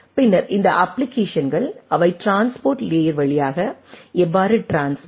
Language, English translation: Tamil, And then these applications how they will transmitted will be through the transport layer